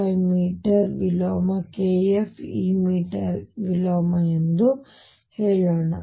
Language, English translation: Kannada, 5 meter inverse k f is this meter inverse